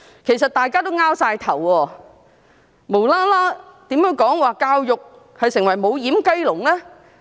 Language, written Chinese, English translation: Cantonese, 其實大家也摸不着頭腦，為何她無緣無故說教育已成為"無掩雞籠"？, Problems which have emerged must be handled . In fact we are at a loss . Why did she say without rhyme or reason that education has become a doorless chicken coop?